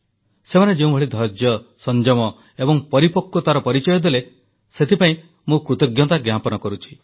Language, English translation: Odia, I am particularly grateful to them for the patience, restraint and maturity shown by them